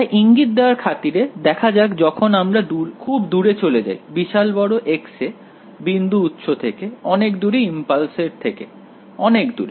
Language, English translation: Bengali, So, as to give you a hint let us look at what happens when I go far away at very large x from the location of the point source from the location of the impulse